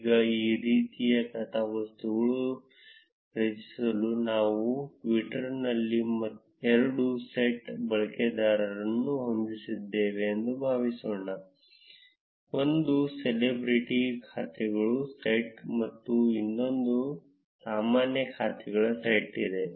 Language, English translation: Kannada, Now to create this kind of plot, suppose we have two sets of users on twitter, one is a set of celebrity accounts and the other is a set of normal accounts